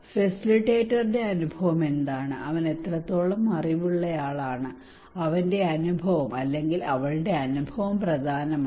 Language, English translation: Malayalam, What is the experience of the facilitator what extent he is knowledgeable skilful his experience or her experience that matter